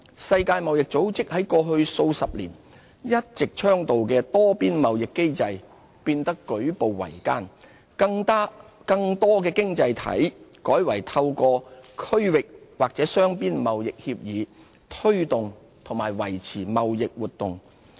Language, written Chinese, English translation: Cantonese, 世界貿易組織過去數十年一直倡導的多邊貿易機制變得舉步維艱，更多經濟體改為透過區域或雙邊貿易協議，推動和維持貿易活動。, Protectionism is also on the rise . The multilateral trade system advocated by the World Trade Organization over the past few decades has encountered enormous challenges . More economies have turned to regional or bilateral trade negotiations for promoting and maintaining their trading activities